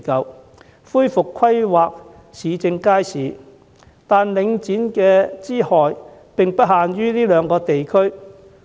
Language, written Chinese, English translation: Cantonese, 我支持政府恢復規劃市政街市，惟領展之害並不限於這兩個地區。, While I support the Government in resuming the planning of public markets the harms of Link REIT are not limited to the two districts